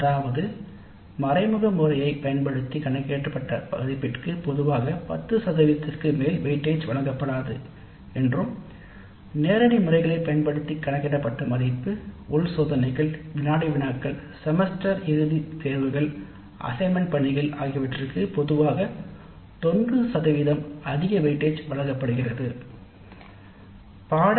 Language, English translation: Tamil, That means the value computed using indirect method is usually given no more than 10% weightage and the value computed using direct methods, internal tests, quizzes, semistence examinations, assignments that is given greater weight is typically 90%